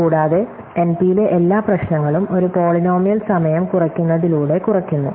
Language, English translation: Malayalam, And in addition every problem in NP reduces to it by a polynomial time reduction